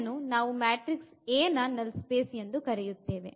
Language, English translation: Kannada, So, this is called the null space of the matrix A